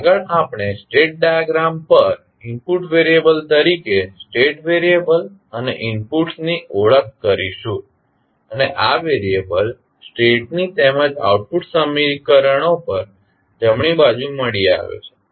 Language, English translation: Gujarati, Now, next we will identify the state variables and the inputs as input variable on the state diagram and these variables are found on the right side on the state as well as output equations